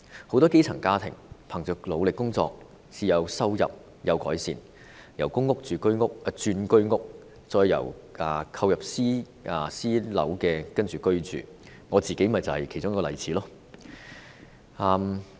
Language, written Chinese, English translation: Cantonese, 很多基層家庭憑着努力工作至收入有改善，由公屋轉居屋，再購入私樓居住，我自己正是其中一個例子。, Through working hard and when attaining an increase in their income many grass - roots families living in PRH units have moved to HOS units and subsequently to self - owned private housing and I am one of these examples